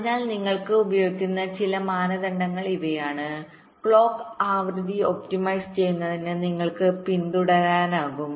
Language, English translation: Malayalam, ok, so these are some criteria you can use, you can follow to optimise on the clock frequency